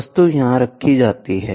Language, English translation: Hindi, So, the object is viewed here